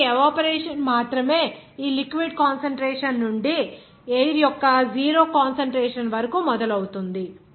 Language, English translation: Telugu, So, only the evaporation starts from this liquid concentration to the 0 concentration of the air